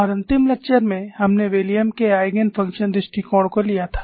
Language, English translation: Hindi, Now, we will continue with William's Eigen function approach